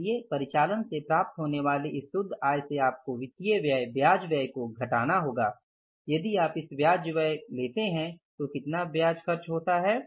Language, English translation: Hindi, So, from this net income from operations you have to subtract the financial expense less interest expense